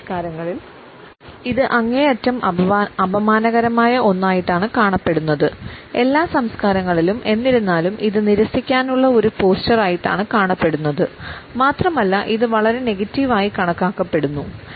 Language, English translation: Malayalam, In some cultures it is seen as an extremely insulting one; in all cultures nonetheless it is a posture of rejection and it is considered to be a highly negative one